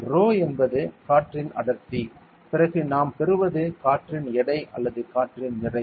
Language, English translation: Tamil, I am writing rho is the density of air then what we get is the what the weight of air right or mass of air it is the mass of air